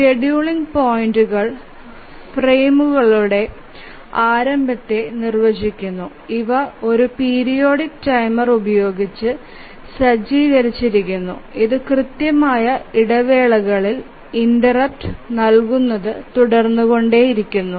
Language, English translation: Malayalam, So, the scheduling points define the frames, the beginning of the frames and these are set by a periodic timer which keeps on giving interrupts at regular intervals